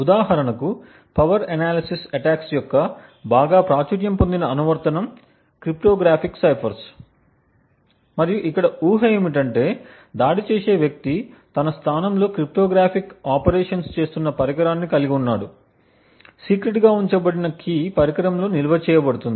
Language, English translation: Telugu, For example, a very popular application of power analysis attacks is on cryptographic ciphers and the assumption is that we have the attacker has in his position a device which is doing cryptographic operations, the key which is kept secret is stored within the device